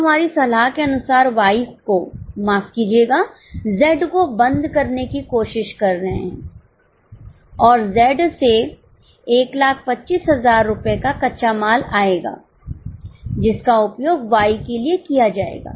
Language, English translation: Hindi, Now as per our, we are trying to close Y, sorry, close Z and Z will release 1,000 25,000 rupees of raw material, which will be used for Y